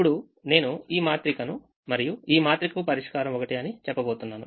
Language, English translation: Telugu, now i am going to say that the solution to this matrix and the solution to this matrix are the same